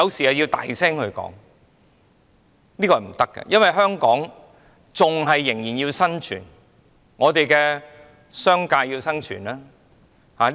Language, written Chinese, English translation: Cantonese, 這是不可行的，因為香港仍要生存，商界也要生存。, This should not happen as the survival of Hong Kong and of the business sector are involved